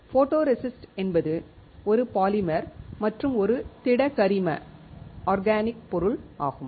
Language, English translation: Tamil, Photoresist is a polymer and is a solid organic material